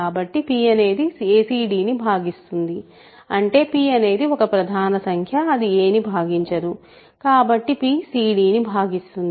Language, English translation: Telugu, So, p divides a c d, but; that means, p divides, p is a prime number that does not divide a; so, p divides c d